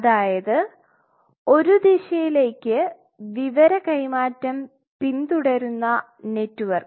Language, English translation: Malayalam, A network which follows a information transfer in a direction